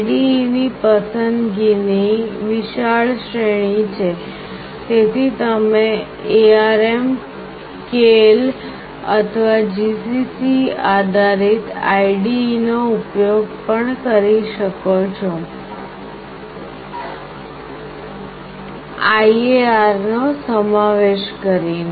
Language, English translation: Gujarati, There is a wide range of choice of IDE, so you can also use ARM Keil or GCC based IDE’s including IAR